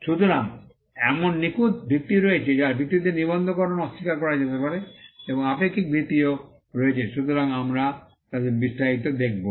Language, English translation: Bengali, So, there are absolute grounds on which, registration can be refused and there are also relative grounds; so, we will see them in detail